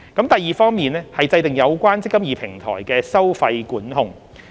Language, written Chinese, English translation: Cantonese, 第二方面是制訂有關"積金易"平台的收費管控。, The second aspect is the introduction of a fee control mechanism on the eMPF Platform